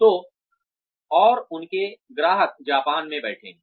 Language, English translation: Hindi, So, and their customers are sitting in Japan